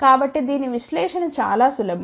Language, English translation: Telugu, So, the analysis of this is relatively simple